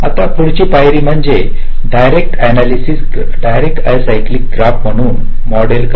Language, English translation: Marathi, now the next step is to model this as a direct acyclic graph